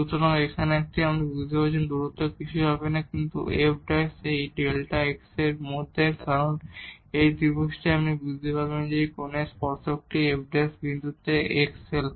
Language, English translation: Bengali, So, here this distance from here to here will be nothing, but the f prime into this delta x because in this triangle you can figure out that this tangent of this angle here is this f prime at this point x